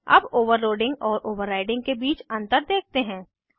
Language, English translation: Hindi, Let us see the difference of overloading and overriding